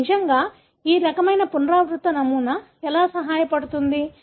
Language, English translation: Telugu, So, how does it really, this kind of repeating pattern help